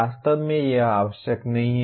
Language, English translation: Hindi, Actually it is not necessary